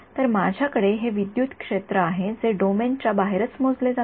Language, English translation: Marathi, So, I have this electric field that is measured only outside the domain